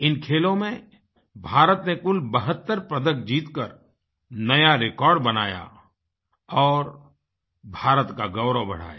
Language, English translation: Hindi, These athletes bagged a tally of 72 medals, creating a new, unprecedented record, bringing glory to the nation